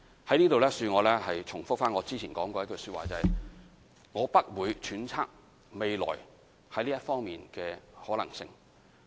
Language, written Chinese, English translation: Cantonese, 在此，恕我重複早前的說話，就是：我不會揣測未來在這一方面的可能性。, Please excuse me for repeating what I have said earlier that is I will not speculate on the development in this respect